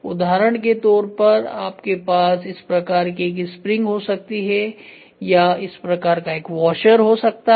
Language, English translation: Hindi, For example, you can have a spring like this or a washer like this